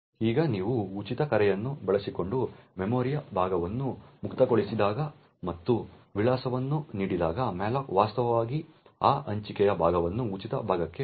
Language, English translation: Kannada, Now when you free a chunk of memory using the call free and giving the address then malloc would actually convert that allocated chunk to a free chunk